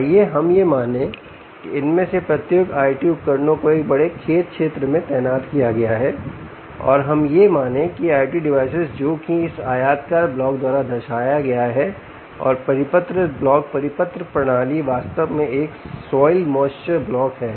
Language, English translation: Hindi, let's assume that each of these i o t devices are deployed in a large farm area and let's assume that these i o t devices, which is represented by this rectangular block and the circular block circular system, is actually a soil moisture block